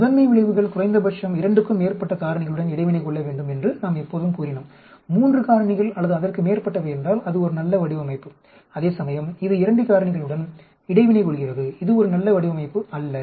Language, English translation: Tamil, I daily we always said that principle effects should interact have an interaction with more than 2 factors at least 3 factors or more then that is a good design, whereas, here it is interacting with 2 factors that is not a very good design at all